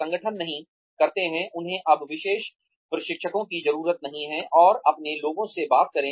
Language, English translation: Hindi, Organizations do not, they no longer need, specialized trainers to come in, and talk to their people